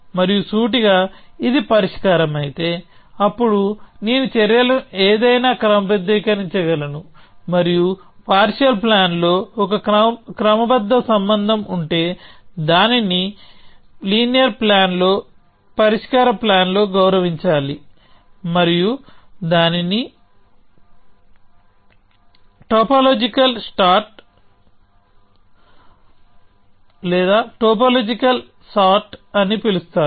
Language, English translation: Telugu, And implicitly, what we mean is this that if this was a solution, then I could take any ordering of the actions and that would any consistent ordering by which you mean that if there is an ordering relation in the partial plan, it must be respected in the solution plan in the linear plan, and that is called topological sort